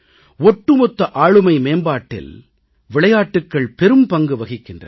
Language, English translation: Tamil, There is a great significance of sports in overall personality development